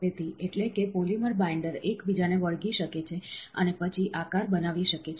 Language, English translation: Gujarati, So, that is, polymer binders can stick to each other and then form a shape